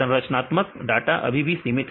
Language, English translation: Hindi, The structure data is still limited